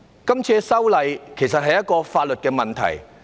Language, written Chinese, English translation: Cantonese, 這次修例，其實是一個法律問題。, The amendment exercise this time around is actually a legal issue